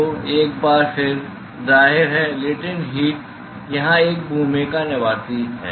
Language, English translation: Hindi, So, once again; obviously, the latent heat plays a role here